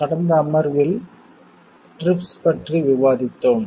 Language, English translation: Tamil, In the last session, we have discussed about TRIPS in general